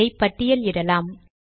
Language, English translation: Tamil, Lets list this